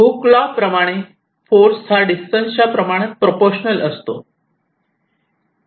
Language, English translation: Marathi, now the analogy is that hookes laws says force will be proportion to the distance